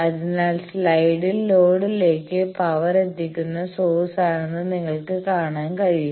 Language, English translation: Malayalam, So, in the slide you can see that the source it is delivering power to the load